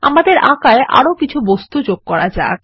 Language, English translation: Bengali, Lets add some more objects to our drawing